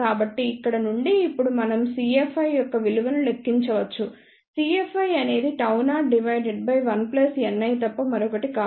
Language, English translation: Telugu, So, from here now we can calculate the value of C F i, C F i is nothing but gamma 0 divided by 1 plus n i